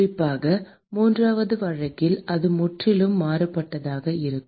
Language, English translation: Tamil, Particularly in the third case it will be completely different